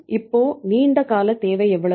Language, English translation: Tamil, So how much is long term requirement